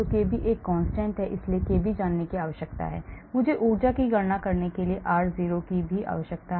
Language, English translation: Hindi, kb is a constant, so I need to know the kb, I need to know r0 to calculate the energy